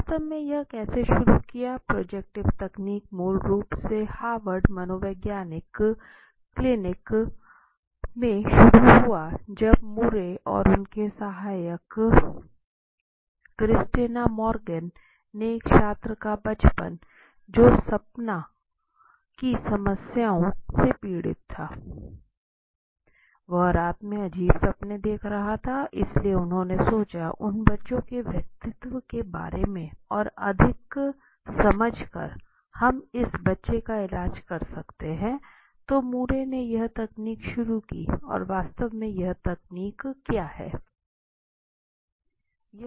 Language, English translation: Hindi, In fact how did it start if you would like to know about it then projective technique started at a basically in the Harvard psychological lab when Murray and his assistant Christiana Morgan they learned about what are the cases about what are the students child whose suffering from dream problems right so he was getting dreams in the night in which were quiet weird dreams so they thought in fact he could we treat this child by understanding more about going deep about his personality right so to do that Murray started that his technique in fact right so what is this technique all about